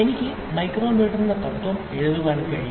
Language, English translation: Malayalam, I can write the principle of micrometer